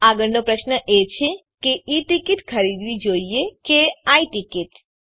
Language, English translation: Gujarati, The next question is should one buy E ticket or I ticket